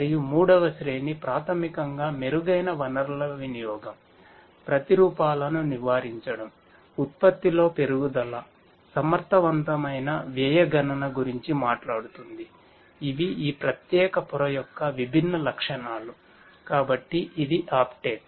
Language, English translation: Telugu, And the third tier basically talks about improved resource utilisation, avoiding replications, growth in production, effective cost computation these are the different properties of this particular layer, so that was Uptake